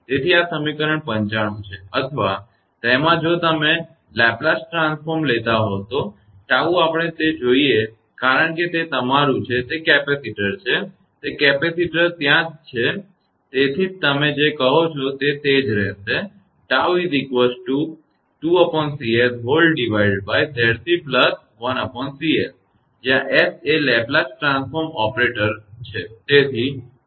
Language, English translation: Gujarati, So, this is equation 95 right or in if you take the Laplace transform then tau should we it because it is your, it is capacitor it is capacitor right where see therefore, it will be your what you call 2 upon in Z you use one upon CS, S is the Laplace transform operator right